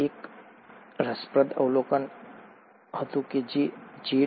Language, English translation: Gujarati, Now this was an interesting observation, which was made by J